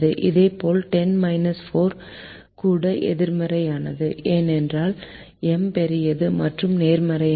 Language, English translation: Tamil, similarly, minus ten minus four is is also negative because m is large and positive